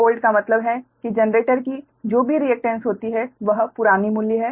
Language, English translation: Hindi, x g one old means whatever reactance of the generator is given